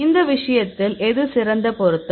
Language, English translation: Tamil, In this case which one is the best fit